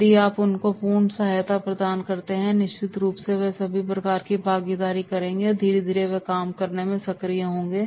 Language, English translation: Hindi, If you provide the full support and definitely they will be having all the sort of the involvement and slowly and slowly they will be active